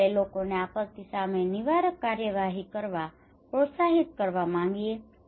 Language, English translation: Gujarati, We want to encourage people to take preventive action against disaster